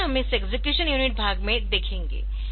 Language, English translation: Hindi, So, next we will look into this execution unit part